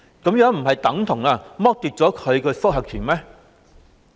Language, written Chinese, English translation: Cantonese, 這樣不是等同剝奪他的覆核權嗎？, The Governments approach is tantamount to depriving his right to review isnt it?